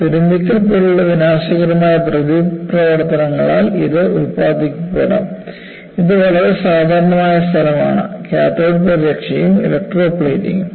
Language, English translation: Malayalam, This may be produced by corrosive reactions such as rusting, which is very common place; cathodic protection as well as electroplating